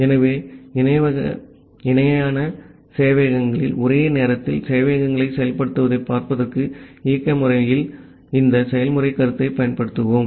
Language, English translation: Tamil, So, we will use this concept of process in the operating system to look into this implementation of concurrent servers at the parallel servers